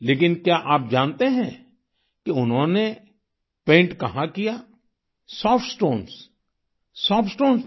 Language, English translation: Hindi, But, did you know where she began painting Soft Stones, on Soft Stones